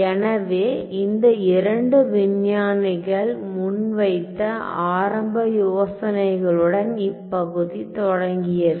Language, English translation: Tamil, So, the area started with the initial ideas put forward by these two scientists